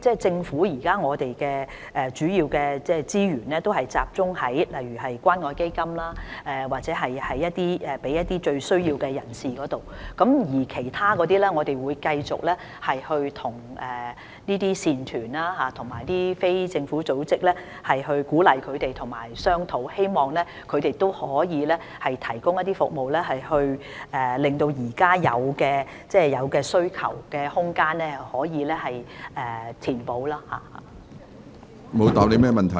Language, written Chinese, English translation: Cantonese, 政府現時的資源主要也是集中在例如透過關愛基金向最有需要的人士提供服務，除此之外，我們會繼續鼓勵慈善團體和非政府組織，以及與它們商討，希望它們可以提供服務，使現有的需求空間得以填補。, At present the Government mainly focuses its resources on providing services for people most in need through for instance the Community Care Fund . Besides we will continuously encourage efforts made by charity groups and NGOs and we will negotiate with them in the hope that they can provide services to fill the existing gap on the demand side